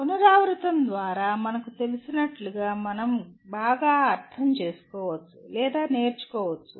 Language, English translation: Telugu, As we know through repetition we can understand or learn better